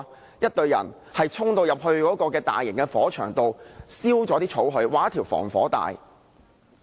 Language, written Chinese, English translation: Cantonese, 由一隊人衝入大型火場中把草燒掉，劃出一條防火帶。, A crew of firefighters will rush into the scene to set fire on the grass to create a containment line